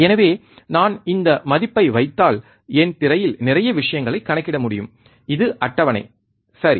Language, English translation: Tamil, So, then if I put this value I can calculate lot of things on my screen which is the table, right